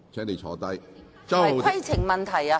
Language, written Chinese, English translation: Cantonese, 為何這不是規程問題？, Why is it not a point of order?